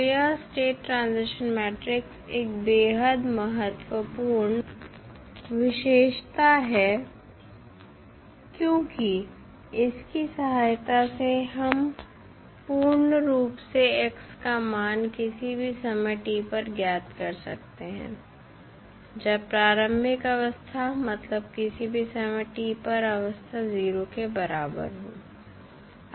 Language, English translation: Hindi, So, this is one of the most important property of the state transition matrix because with the help of this we can completely find the value of x at any time t given the initial state that is state at time t is equal to 0